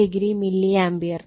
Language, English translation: Malayalam, 44 degree Ampere